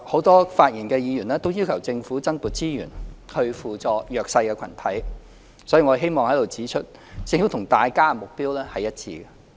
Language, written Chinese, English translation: Cantonese, 多位發言的議員均要求政府增撥資源，以扶助弱勢群體，所以我希望在此指出，政府與大家的目標一致。, As a number of Members spoken have requested the Government to allocate additional resource to assisting the disadvantaged groups I would like to point out here that the Government and Members share the same goal